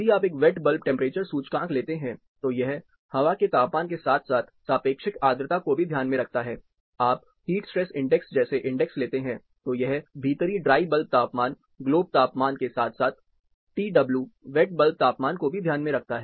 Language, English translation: Hindi, If you take index like a wet bulb temperature, it takes air temperature as well as relative humidity into consideration, you take an index like heat stress index, and it takes indoor dry bulb temperature, globe temperature as well as WTW, wet bulb temperature into account